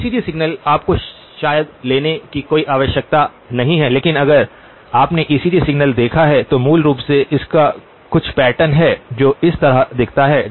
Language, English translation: Hindi, ECG signal you probably have not had any need to take it but if you have seen an ECG signal, basically it has some pattern that looks like this